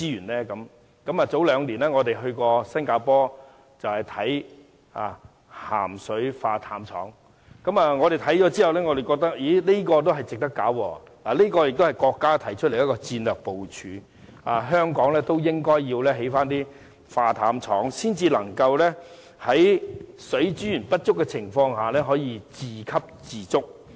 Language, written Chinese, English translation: Cantonese, 兩年前，我們曾到新加坡參觀海水化淡廠，我們看過後覺得這是值得興建的，這也是國家提出的戰略部署建議，認為香港應該興建海水化淡廠，才能在水資源不足的情況下可以自給自足。, Two years ago we went to Singapore to visit a seawater desalination plant . After the visit we think desalination is worth carrying out in Hong Kong . This is in line with the national strategic plan according to which a desalination plant should be built in Hong Kong for it to attain self - reliance in case of water shortage